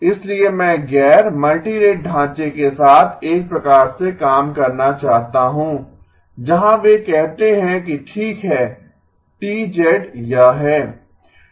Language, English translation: Hindi, So I want to sort of work with the non multirate framework where they say okay T of z is this